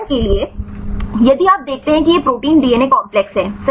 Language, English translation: Hindi, For example, if you see this is the protein DNA complex right